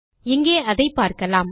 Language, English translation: Tamil, You can see here